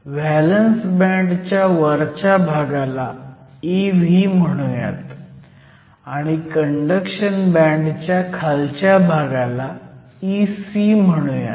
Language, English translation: Marathi, So, this is your valence band with E v, this is your conduction band with E c